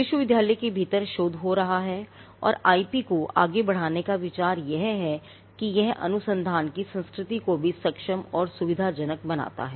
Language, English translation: Hindi, There has to be a research happening within the university and the idea of pushing IP is that it also enables and facilitates a culture of research